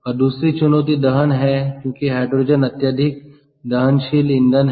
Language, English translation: Hindi, and the other challenge is combustion, because hydrogen is highly combustible fuel